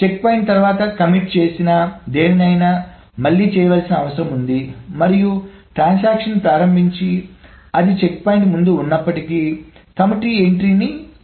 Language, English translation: Telugu, Anything that has committed after the checkpoint needs to be done and any other transaction that has started but has got no commit entry needs to be undone even if it is before the checkpoint